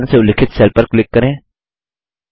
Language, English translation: Hindi, Click on the cell referenced as C10